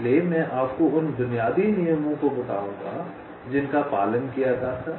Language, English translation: Hindi, so i shall be telling you the basic rules that were followed